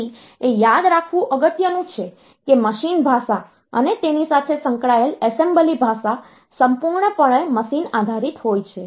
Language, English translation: Gujarati, So, it is important to remember that a machine language, and it is associated assembly language are completely machine dependent